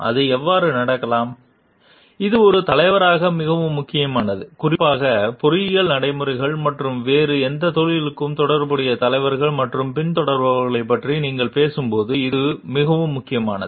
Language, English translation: Tamil, It may so, happen like and this is very important as a leader and like when you talk about leaders and followers specifically with relation to engineering practices and maybe for any other professions